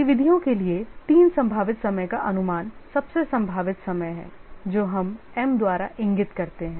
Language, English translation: Hindi, The three probabilistic time estimates for the activities are the most likely time which we indicate by m